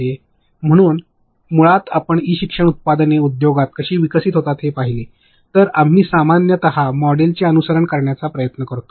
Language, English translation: Marathi, So, basically if you see how e learning products get developed in the industry, we generally try to follow and agile model